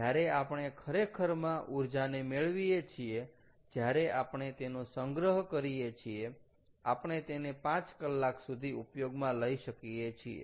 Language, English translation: Gujarati, so when we actually extract the energy out of, when we use the store energy, we can use it for five hours if the effective head is five hundred meters